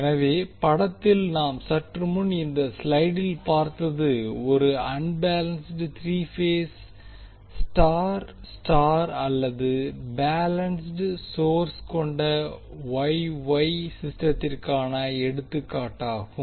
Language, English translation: Tamil, So in the figure which we just saw in this slide this is an example of unbalanced three phase star star or you can also say Y Y system that consists of balance source